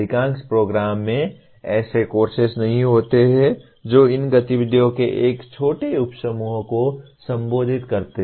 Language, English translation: Hindi, Majority of the programs do not have courses that address even a small subset of these activities